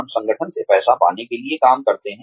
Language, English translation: Hindi, We work, in order to, get the money, from the organization